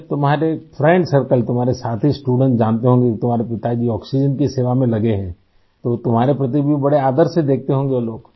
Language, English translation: Hindi, When your friend circle, your fellow students learn that your father is engaged in oxygen service, they must be looking at you with great respect